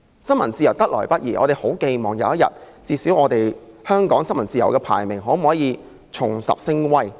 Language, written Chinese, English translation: Cantonese, 新聞自由得來不易，我們十分寄望有一天，香港在世界新聞自由指數的排名能重拾聲威。, Freedom of the press is not easy to come by . We very much hope that one day Hong Kong will have a better ranking in the Press Freedom Index again